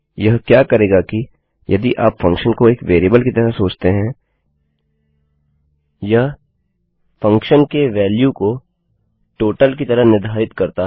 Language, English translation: Hindi, What this does is If you think of the function as a variable it sets the functions value as the total